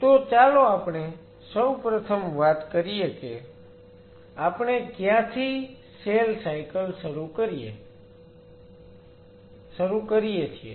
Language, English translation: Gujarati, So, let us first of all talk about where we suppose to start is cell cycle